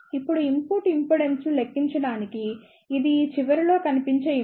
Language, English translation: Telugu, Now, to calculate the input impedance this will be the impedance seen at this end